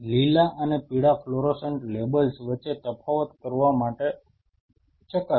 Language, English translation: Gujarati, Probe to distinguish between green and yellow fluorescent labels